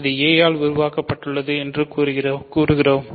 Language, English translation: Tamil, So, we say that it is generated by a